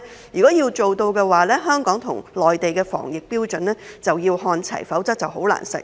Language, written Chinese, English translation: Cantonese, 如果要做到，香港與內地的防疫標準便要看齊，否則便難以實現。, If we want to do so the standards of epidemic prevention in Hong Kong and the Mainland must be the same otherwise it is difficult to achieve